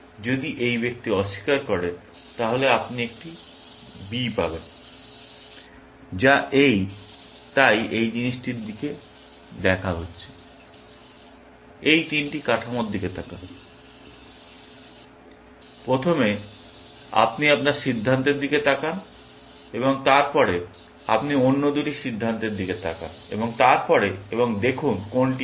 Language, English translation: Bengali, If this person denies, then you get a B, which is, this, so, looking at this thing is, looking at these three structure; first, you look at your decision and then, you look at other two decisions and then, and see which one is better